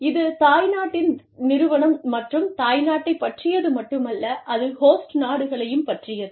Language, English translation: Tamil, It is not only about, the parent company or parent country, it is also about, the host country